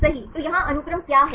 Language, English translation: Hindi, So, here what is the sequence